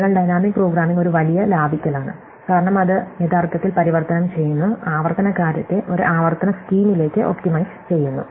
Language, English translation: Malayalam, So, dynamic programming can be a huge saving, because it actually converts, optimize recursive thing into an iterative scheme